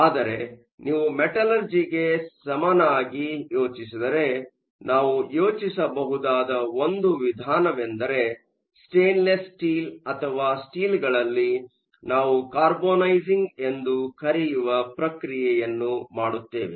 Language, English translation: Kannada, But, if you think of a parallel to metallurgy one way we can think of is in the case of stainless steel or in the case steel we do something called Carbonizing, where we increase the carbon content